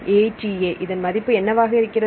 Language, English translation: Tamil, So, what is the value for ATA